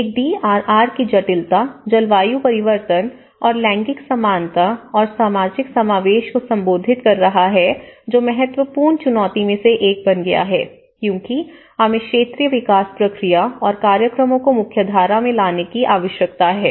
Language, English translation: Hindi, One is addressing the complexity of the DRR, the climate change and the gender equality and social inclusion that becomes one of the important challenge because we need to mainstream these needs into the sectoral development process and programs